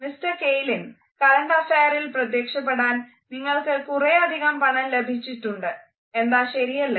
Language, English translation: Malayalam, Mister Kaelin, you have got a lot of money for your appearance on current affair